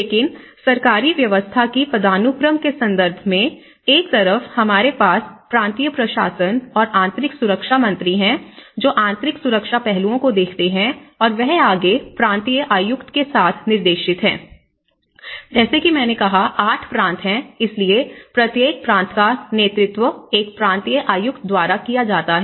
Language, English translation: Hindi, But, in terms of the understanding of the hierarchy of the government setup, one is the minister of our provincial administration and internal security, which has been looking at the internal security aspects and they are further directed with the provincial commissioner because as I said there are 8 provinces, so each province has been headed by a provincial commissioner